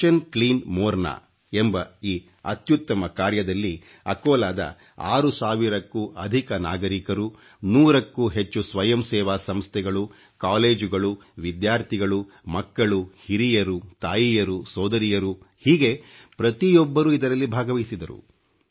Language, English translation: Kannada, This noble and grand task named Mission Clean Morna involved more than six thousand denizens of Akola, more than 100 NGOs, Colleges, Students, children, the elderly, mothers, sisters, almost everybody participated in this task